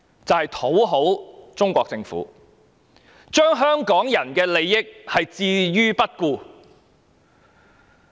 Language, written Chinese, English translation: Cantonese, 就是要討好中國政府，置香港人的利益於不顧。, She has to please the Central Government and has therefore ignored the interests of Hong Kong people